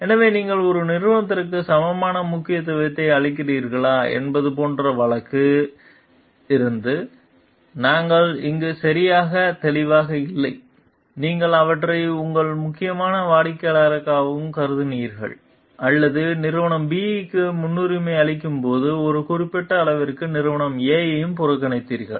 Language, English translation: Tamil, So, we are not exactly clear here from the case like whether you have given equal importance to both the companies, you treated them also as your important customers or you have neglected company A to certain extent while prioritizing for company B